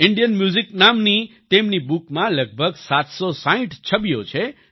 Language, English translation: Gujarati, There are about 760 pictures in his book named Indian Music